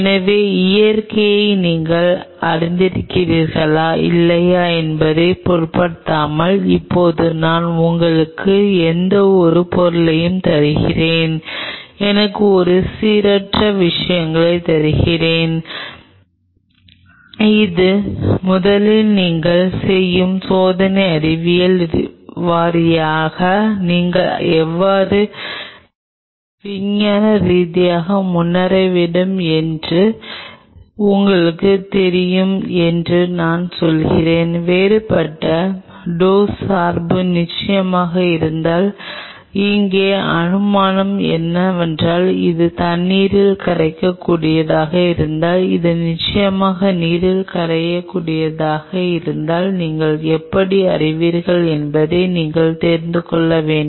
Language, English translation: Tamil, So, now I give you any material irrespective of whether you know the nature or not I give me give me a random stuff, I say you know this is going to work how you should scientifically proceed in the experimental science wise you first of all do different dose dependency of dissolving if of course, the assumption here is, if it is a water soluble if it is water insoluble of course, you can do you just have to know how to you know while you have to dissolve an you know put it on the surface